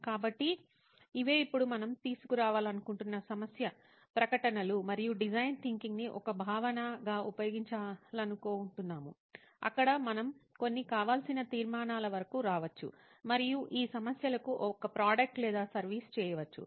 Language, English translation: Telugu, So these are the problem statements we would want to bring out right now and use design thinking as a concept to come to a conclusion where we can come up to few desirable conclusions and make a product or a service for these problems